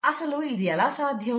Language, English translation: Telugu, Now how is that possible